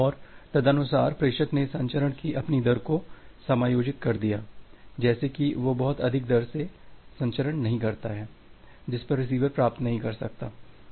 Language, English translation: Hindi, And, accordingly the sender adjusted its rate of transmission, such that it does not overshoot the rate at which the receiver can receive